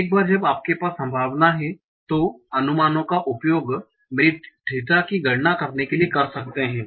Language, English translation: Hindi, Once you have that likelihood or the probabilities, use that to compute my theta